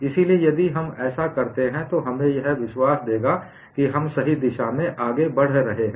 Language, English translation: Hindi, So, if we do that, it would give us a confidence that we are proceeding in the right direction